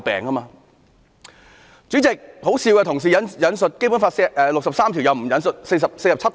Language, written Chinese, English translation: Cantonese, 代理主席，可笑的是，同事引述《基本法》第六十三條，卻不引述第四十七條。, You should also avoid being cavilled at . Deputy President the most ridiculous thing is that when our colleagues quote Article 63 of the Basic Law they fail to quote Article 47